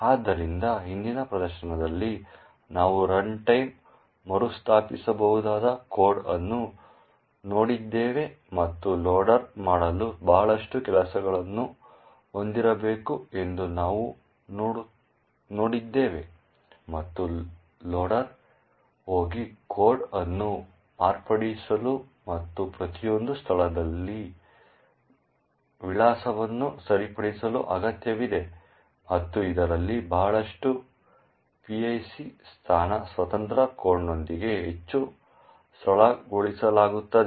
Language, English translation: Kannada, So, in the previous demonstration we looked at runtime relocatable code and we have seen that it requires that the loader have a lot of things to do and it requires the loader to go and modify the code and fix the address in each of the locations and a lot of this becomes much more simplified with a PIC, a position independent code